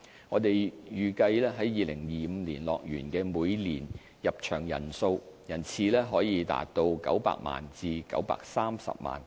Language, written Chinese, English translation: Cantonese, 我們預計在2025年，樂園的每年入場人次可達900萬至930萬。, We expect that the annual attendance of HKDL in 2025 will reach 9 million to 9.3 million